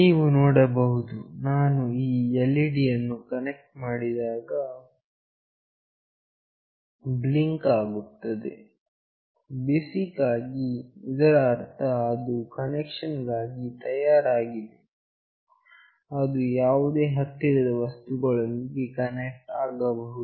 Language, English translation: Kannada, You see when I connect this LED is blinking, basically this means that it is ready for connection, it can connect to any nearby devices